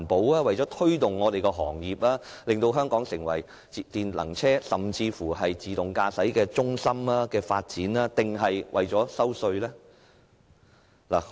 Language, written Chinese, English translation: Cantonese, 是為了推動行業以令香港成為電能車甚或自動駕駛技術的發展中心？, To promote the trade so that Hong Kong will become a development hub for electric vehicles or even autonomous driving technology?